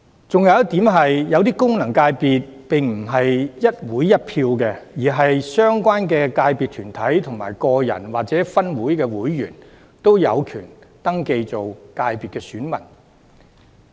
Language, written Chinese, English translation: Cantonese, 還有一點，某些功能界別並非一會一票，而是相關界別團體的個人或分會會員均有權登記為界別選民。, Another point is that some FCs do not vote on a one - organization one - vote basis but individual members or members of the branches of the relevant corporates in the sectors are eligible to register as voters and electors of FCs